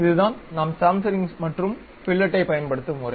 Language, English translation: Tamil, This is the way we use chamfering and fillet